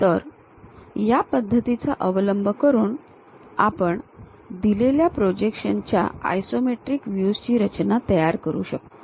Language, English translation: Marathi, So, using this way we will be in a position to construct isometric views of given projections